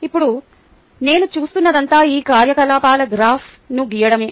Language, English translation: Telugu, now all that i do is plot a graph of these activities